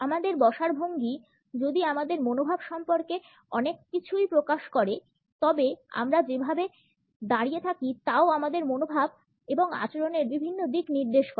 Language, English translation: Bengali, If our sitting posture reveals a lot about our attitudes, the way we stand also indicates several aspects of our attitudes and behaviour